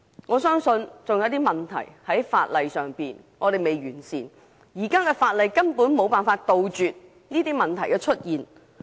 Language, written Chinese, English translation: Cantonese, 我相信還有一些問題是法例未能圓滿解決的，而現行法例根本無法杜絕這些問題的出現。, I believe the existing legislation is still unable to resolve certain issues completely with the result that it simply cannot eradicate all such problems